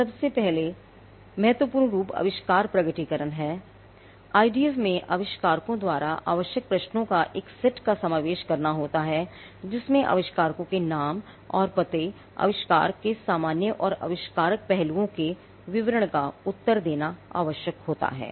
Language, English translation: Hindi, The most important form is the invention disclosure form the IDF comprises of a set of questions required by inventors to answer with a view to capture the following the description of the invention its normal and inventive aspects name and address of the inventor